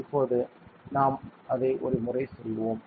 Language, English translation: Tamil, Now, we will do that once